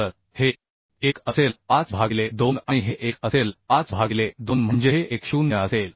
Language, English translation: Marathi, 5 by 2 and this will be 1